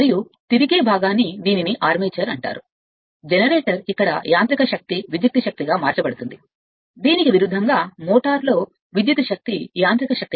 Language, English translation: Telugu, And rotating part it is called the armature right, where mechanical energy is converted into electrical energy for generator or conversely electrical energy into mechanical energy for motor